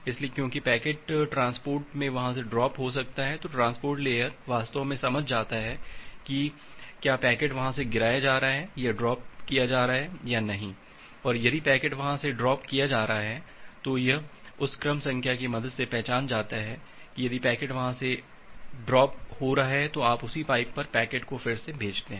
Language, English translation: Hindi, So, because packet may get dropped from there, at the transport layer actually sense that whether the packet is getting dropped from there and if packet is getting dropped, it is identified with the help of that sequence number, if the packet is getting dropped then you retransmit the packet over the same pipe